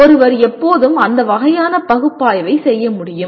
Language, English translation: Tamil, One can always do that kind of analysis